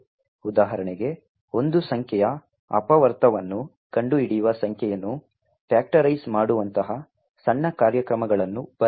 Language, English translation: Kannada, For example, to write small programs such as like factorizing a number of finding the factorial of a number, thank you